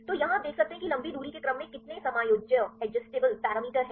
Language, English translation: Hindi, So, here you can see there are how many adjustable parameters in long range order